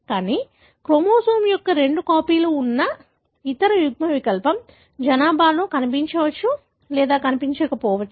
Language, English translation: Telugu, But, the other allele, wherein you have two copies of the chromosome, may or may not be seen in the population